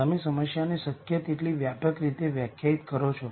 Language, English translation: Gujarati, You define the problem in as broad a way as possible